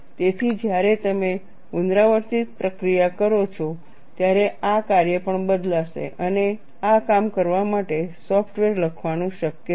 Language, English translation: Gujarati, So, this function also will change when you do the iterative process and it is possible to write software to do this job